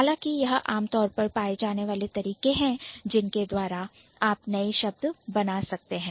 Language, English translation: Hindi, However, these are the most commonly found ways by which you can actually create new words